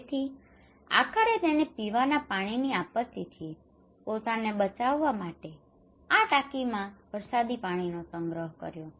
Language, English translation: Gujarati, So finally he installed these rainwater harvesting to protect himself from drinking water disaster